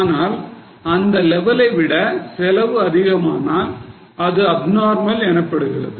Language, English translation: Tamil, But if the cost exceed that level, then that will be considered as abnormal